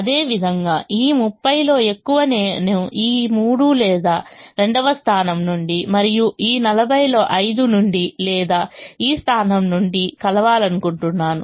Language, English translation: Telugu, similarly, as much of this thirty i would like to meet from this three or the second position and as much of this forty from five or from this position